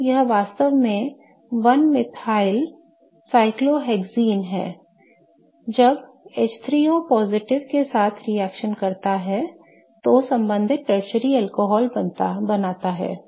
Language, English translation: Hindi, So, this is in fact one methyl cyclohexene and when it reacts with H3O plus it forms the corresponding tertiary alcohol